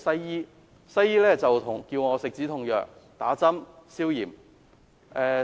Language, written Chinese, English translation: Cantonese, 醫生要我服食止痛藥、打消炎針。, The doctor prescribed some painkillers and gave me an anti - inflammation injection